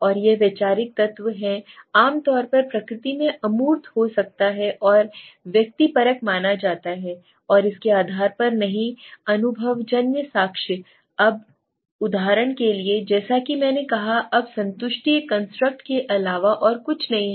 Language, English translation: Hindi, Now it is the conceptual elements it could be abstract in the nature right typically considered to be subjective and not based on the empirical evidence, now for example as I said, now satisfaction is nothing but a construct